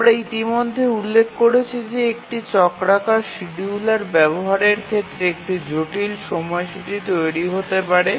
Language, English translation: Bengali, We have already mentioned that one complication in using a cyclic scheduler is constructing a schedule